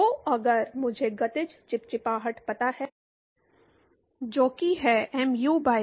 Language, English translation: Hindi, So, if I know the kinematic viscosity, which is mu by rho